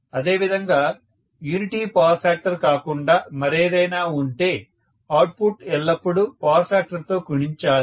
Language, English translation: Telugu, Similarly, the output has to be always multiplied with the power factor, if it is anything other than unity power factor